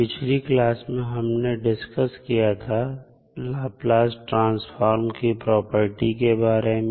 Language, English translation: Hindi, In the last class, we were discussing about the various properties of Laplace transform